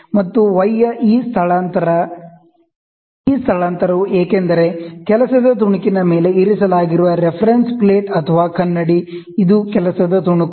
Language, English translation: Kannada, And y is this displacement; this displacement is because the reference plate or the mirror, which is kept on the work piece, this is the work piece